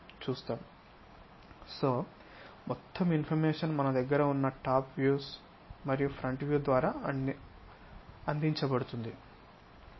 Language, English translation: Telugu, So, all the information is provided from our front views and top views